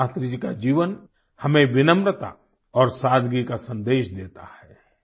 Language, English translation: Hindi, Likewise, Shastriji's life imparts to us the message of humility and simplicity